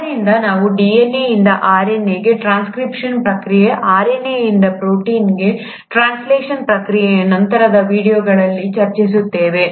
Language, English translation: Kannada, so we will discuss DNA to RNA, the process of transcription, RNA to protein, the process of translation, in subsequent videos